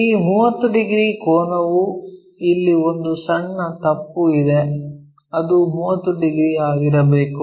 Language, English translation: Kannada, This 30 degrees angle ah there is a small mistake here, it is supposed to be 30 degrees well